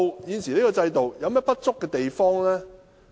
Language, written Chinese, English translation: Cantonese, 現時香港的制度有何不足之處呢？, What are the inadequacies of the existing systems of Hong Kong?